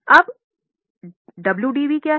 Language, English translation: Hindi, Now, what is wdv